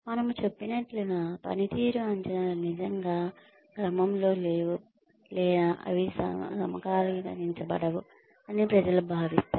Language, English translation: Telugu, People feel that, the performance appraisals are not really, in line, or they are not in sync, as we say